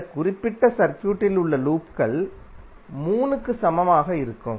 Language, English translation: Tamil, Loops in that particular circuit would be equal to 3